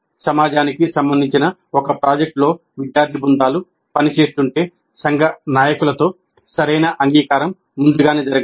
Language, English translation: Telugu, If the student teams are working on a project that is relevant to the community, then proper engagement with the community leaders must happen well in advance